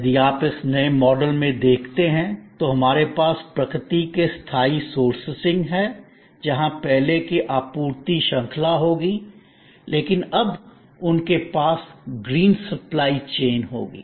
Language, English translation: Hindi, If you see therefore in this new model, we have sustainable sourcing from nature, there will be those earlier supply chain, but now, they will have per with green supply chain